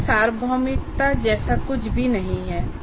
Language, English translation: Hindi, So there is nothing like universality about it